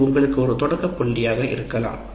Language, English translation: Tamil, That could be your starting point